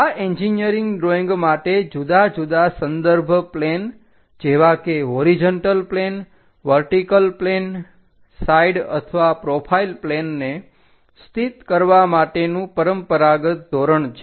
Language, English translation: Gujarati, These are the standard conventions for engineering drawing to locate different reference planes as horizontal plane, vertical plane side or profile planes